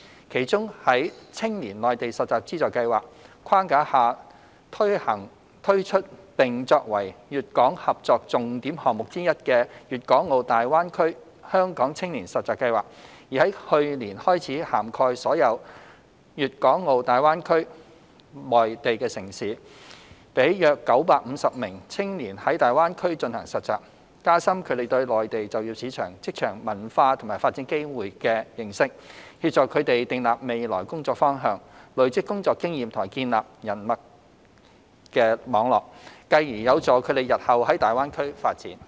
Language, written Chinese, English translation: Cantonese, 其中，在青年內地實習資助計劃框架下推出並作為粵港合作重點項目之一的粵港澳大灣區香港青年實習計劃已在去年開始涵蓋所有粵港澳大灣區內地城市，讓約950名青年在大灣區進行實習，加深他們對內地就業市場、職場文化及發展機會的認識，協助他們訂立未來工作方向、累積工作經驗和建立人脈網絡，繼而有助他們日後在大灣區發展。, In particular being one of the major cooperation initiatives between Hong Kong and Guangdong the Guangdong - Hong Kong - Macao Greater Bay Area Hong Kong Youth Internship Scheme launched under the Funding Scheme for Youth Internship in the Mainland has been expanded to cover all the Mainland cities in Guangdong - Hong Kong - Macao Greater Bay Area GBA since last year . Approximately 950 young people have taken up internship placements in GBA from which they have gained a deeper understanding of the labour market workplace culture and career prospects of the Mainland . It has also helped our young people set their career goals ahead accumulate work experience and build interpersonal networks thus facilitating their future development in GBA